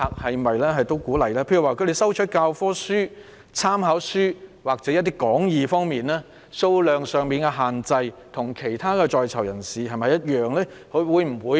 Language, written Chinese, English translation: Cantonese, 舉例來說，正在進修的在囚人士需要教科書、參考書或講義，他們收取書刊的數量限制是否與其他在囚人士一樣？, For example for PICs who need textbooks reference books or notes for study are they subject to the same cap on the number of publications they can receive as other PICs?